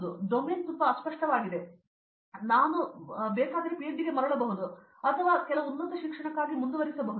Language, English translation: Kannada, Or if I feel that the domain is too vague then I may come back to PhD or I may pursue for some higher education